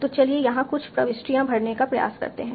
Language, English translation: Hindi, And like that I will fill all these entries